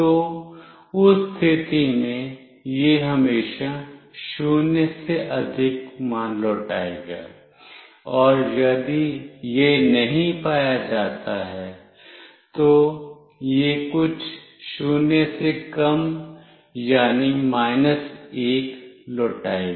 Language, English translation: Hindi, And if it does not find that, it will return something less than 0, that is, minus 1